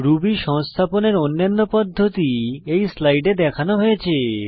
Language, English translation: Bengali, Other methods for installing Ruby are as shown in this slide